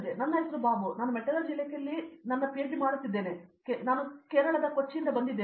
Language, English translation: Kannada, Good evening everyone my name is Bobu I am doing my PhD in Metallurgy Department, I am from Kochi, Kerala